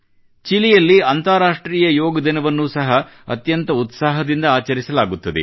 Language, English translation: Kannada, The International Day of Yoga is also celebrated with great fervor in Chile